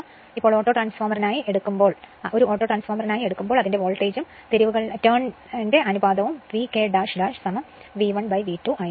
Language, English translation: Malayalam, Now, when you take Autotransformer as an autotransformer its voltage and turns ratio will be V K dash is equal to V 1 upon V 2